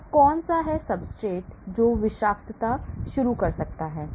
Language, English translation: Hindi, So, what are the substrate that may initiate toxicity